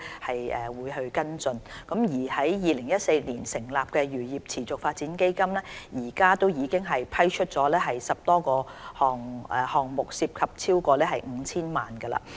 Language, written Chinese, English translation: Cantonese, 此外，在2014年成立的"漁業持續發展基金"，至今已批出10個項目，涉及超過 5,000 萬元。, Furthermore the Sustainable Fisheries Development Fund set up in 2014 have approved more than 10 projects which involve more than 50 million